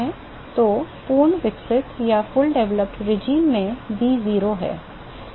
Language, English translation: Hindi, So, v is 0 in the fully developed regime